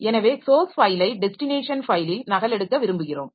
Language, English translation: Tamil, So we want to copy the source file to the destination file